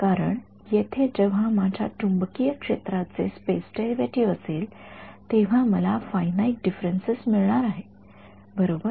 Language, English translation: Marathi, Because here when I have a space derivative of magnetic field, I am going to get the finite differences right